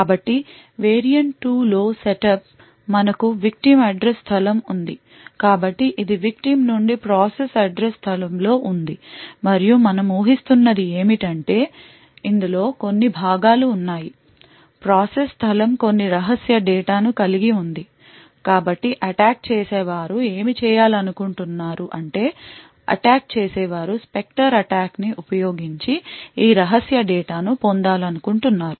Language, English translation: Telugu, So the set up in the variant 2 is as follows we have a victim's address space so this is in an process address space off the victim and what we assume is that there is some portions of within this process space which has some secret data so what the attackers wants to do is that the attack a wants to actually obtain this secret data using the Spectre attack